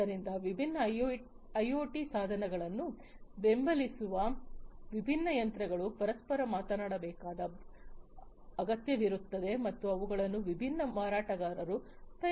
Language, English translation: Kannada, So, different machines supporting different IoT devices etc they need to talk to each other all right and they have been made by different vendors